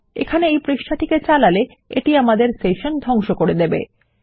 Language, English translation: Bengali, If we run this page here, it will destroy our session